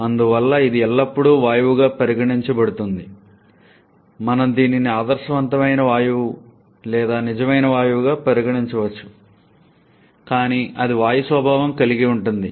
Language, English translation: Telugu, And therefore, it is always treated as a gas we can treat this an ideal gas or maybe real gas whatever but that is gaseous in nature